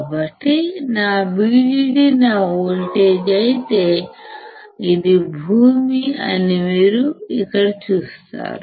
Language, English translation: Telugu, So, you see here that if vdd is my voltage this is ground